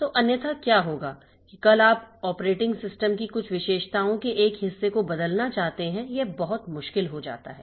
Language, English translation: Hindi, So, otherwise what will happen is that tomorrow you want to change the part, some of the features of the operating system, it becomes very difficult